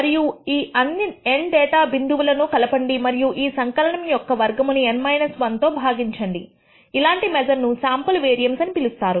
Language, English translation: Telugu, And add over all the data points n data points and divide the this particular sum squared value by N minus 1, such a measure is called the sample variance